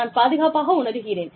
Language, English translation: Tamil, You know, i feel safe